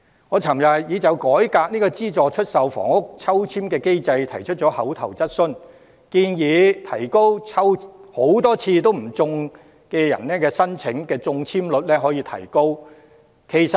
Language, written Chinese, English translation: Cantonese, 我昨天已就改革資助出售房屋抽籤機制提出口頭質詢，建議提高多次抽籤不中人士的中籤率。, Yesterday I raised an oral question on reforming the ballot mechanism for subsidized sale housing in which I suggested boosting the chance to purchase a flat for applicants who had repeatedly applied but in vain